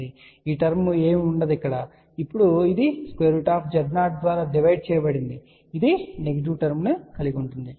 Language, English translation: Telugu, So, the term will be nothing, but now, this divided by square root Z 0 and that will have a negative term